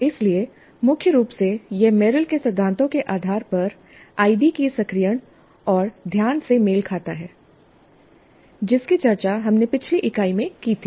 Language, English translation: Hindi, So primarily this corresponds to the activation and attention of the idea based on Merrill's principles that we discussed in the last unit